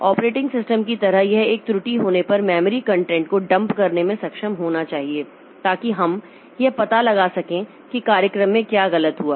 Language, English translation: Hindi, So that way we have this is also very important like operating system it should be able to dump the memory content if there is an error so that we can figure out what went wrong with the program